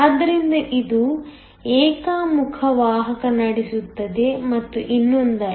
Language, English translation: Kannada, So, it conducts in one way and not the other